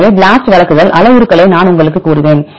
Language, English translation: Tamil, So, I will tell you the parameters which BLAST will provide